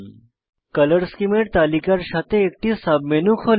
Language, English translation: Bengali, A submenu opens with a list of Color schemes